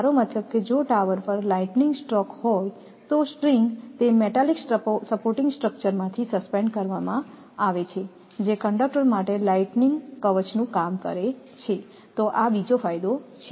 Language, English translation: Gujarati, I mean if there is a lightning stroke on the tower say if the string is suspended from a metallic supporting structure which works as a lightning shield for conductor so this is another advantage